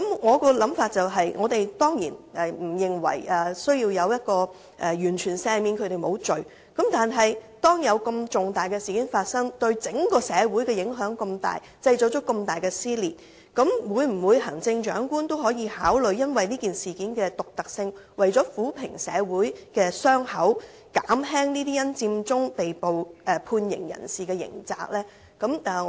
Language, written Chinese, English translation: Cantonese, 我的想法是，我們當然不認為需要完全赦免他們，但發生如此重大的事件，對整個社會有如此重大影響，製造出這麼大的撕裂，鑒於這事件的獨特性，以及為了撫平社會的傷口，行政長官可否考慮減輕這些因佔中被捕判刑人士的刑責？, We surely do not think that there should be a general pardon . But this is indeed a very serious incident that has heavily impacted our society and caused serious social division . In view of the uniqueness of the incident and for the purpose of healing the wound of our society I wonder if the Secretary can consider commuting the penalties for those arrested and convicted as a result of the Occupy Central movement